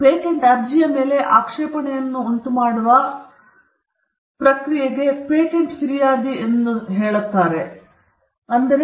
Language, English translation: Kannada, And this process of the office raising objections over a patent application is what you called patent prosecution